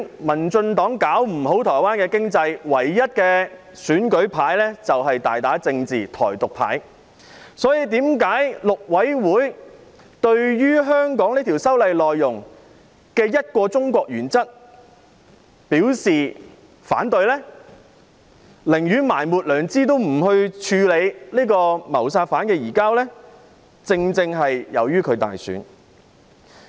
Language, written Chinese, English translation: Cantonese, 民進黨搞不好台灣的經濟，唯一的選舉牌便是大打政治"台獨"牌，所以，大陸委員會對於香港修例內容的"一個中國"原則表示反對，寧願埋沒良知也不處理謀殺犯的移交，正正是由於台灣大選。, As the Democratic Progressive Party has failed to promote Taiwans economic development it can only resort to playing the Taiwan independence card . Thus the Mainland Affairs Council of Taiwan indicated that it would oppose the One China principle as enshrined in the legislative amendment of Hong Kong . It has refused to address the issue of handing over the suspect of the murder case even if it means suppressing its conscience